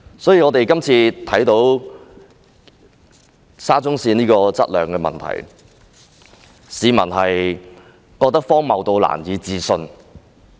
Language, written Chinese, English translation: Cantonese, 所以，這次沙田至中環線質量的問題，市民覺得荒謬得難以置信。, So this is why the problems with the quality of the Shatin to Central Link SCL are unbelievably ridiculous to the public